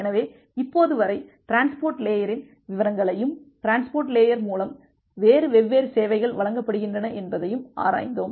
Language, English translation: Tamil, So, till now we looked into the details of the transport layer, and what different services is being provided by the transport layer